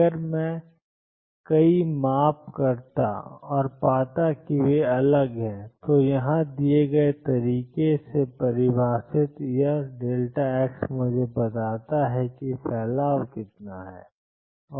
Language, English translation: Hindi, If I make several measurements and find that they are different this delta x defined in the manner given here gives me how much is the spread